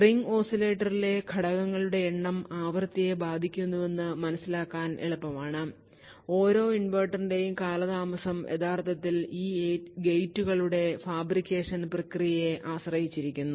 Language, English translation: Malayalam, So, while it is easy to understand that n that is the number of stages in ring oscillator upends the frequency, the delay of each inverter that is t actually depends upon the fabrication process of these gates